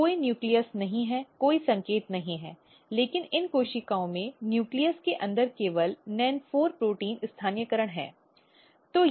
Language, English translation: Hindi, So, there is no nucleus no signal, but this cells has NEN4 protein localization only inside the nucleus